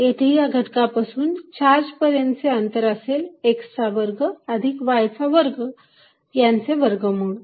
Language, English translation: Marathi, In this case, the distance from this element to the charge is going to be square root of x square plus y square